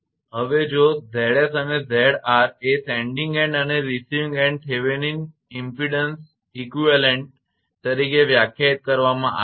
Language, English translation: Gujarati, Now if Z s and Z r are defined as the sending end and receiving end Thevenin equivalent impedance